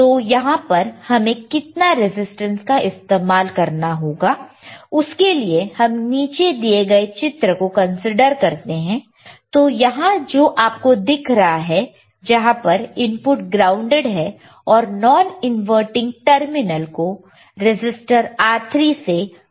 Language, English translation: Hindi, So, see what resistance should be used right to know what resistance to use let us consider a figure below, which you can see here right where the input is also grounded and non inverting terminal is connected with the resistor R3 right